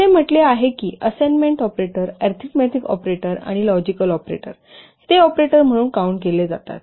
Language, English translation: Marathi, It says that assignment operators, arithmetic operators and logical operators, they are usually counted as operators